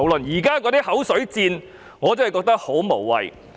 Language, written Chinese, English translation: Cantonese, 現在的口水戰，我真的覺得十分無謂。, I find the ongoing war of words really pointless